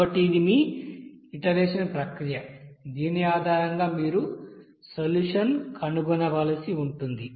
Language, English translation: Telugu, Now so we can say that So this is your iteration procedure based on which you have to find out the solution